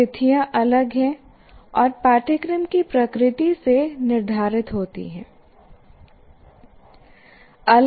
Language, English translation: Hindi, So, situations are different by the nature of the course